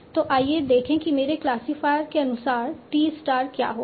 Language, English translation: Hindi, So for my classifier, how do I obtain t star